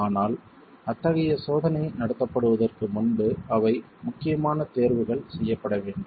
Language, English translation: Tamil, But those are important choices that have to be made before such a test is carried out